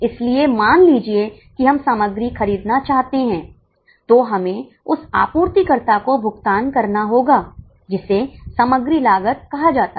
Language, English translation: Hindi, So, suppose we want to buy material, we will have to pay the supplier that is called as a material cost